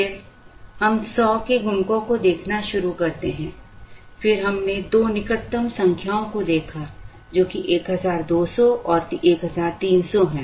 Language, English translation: Hindi, Then we start looking at multiples of 100 then we looked at the two closest numbers, which are 1200 and 1300